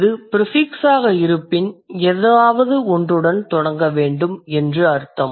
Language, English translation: Tamil, When it is prefix, that means something has to begin with that